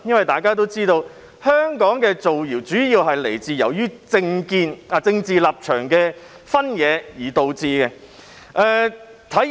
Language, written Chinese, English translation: Cantonese, 大家都知道，香港的造謠者主要基於政見、政治立場的分野而造謠，體現了......, It is widely known that rumour - mongers in Hong Kong create rumours mainly due to their dissenting political views and political stance